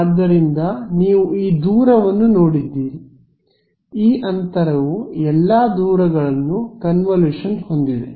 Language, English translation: Kannada, So, you have looking at this distance, this distance this all of these distances in this in convolution